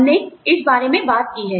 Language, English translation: Hindi, We have talked about this